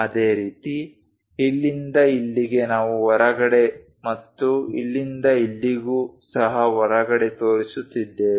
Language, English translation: Kannada, Similarly, from here to here also we are showing outside and here to here also outside